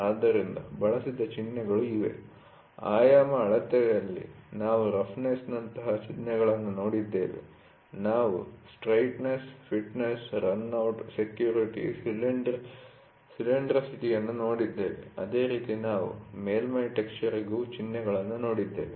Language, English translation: Kannada, So, there are symbols which are used like, what we in the dimension measurement we saw symbols like roughness, we did saw straightness, flatness, runout, circularity, cylindricity same way we also have the symbols for surface texture